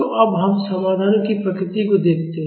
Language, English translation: Hindi, So, now, let us look at the nature of the solution